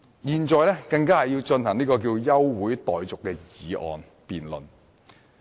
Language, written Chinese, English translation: Cantonese, 現在，本會更要進行休會辯論。, Now this Council has even gone into an adjournment debate